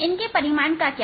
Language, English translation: Hindi, what about their magnitudes